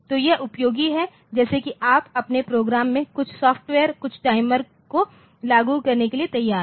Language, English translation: Hindi, So, this is useful like if you are willing to implement some software some timer in your program